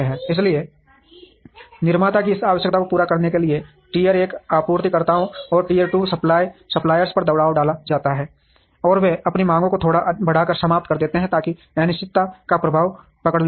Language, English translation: Hindi, So, therefore, the pressure is on the tier one suppliers, and tier two suppliers, to meet this requirement of the producer and they also end up increasing their demands a little bit, so that the uncertainty effect is captured